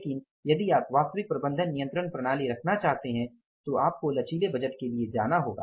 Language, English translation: Hindi, But if you want to have the real management control system, then you have to go for the flexible budgets